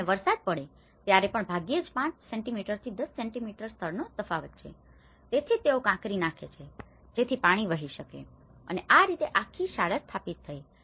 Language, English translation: Gujarati, It is hardly 5 centimeters to 10 centimeters level difference and even in case when rain happens, so that is where they put the gravel so that the water can percolate and this whole school has been established